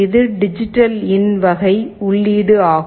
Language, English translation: Tamil, This is a DigitalIn type of input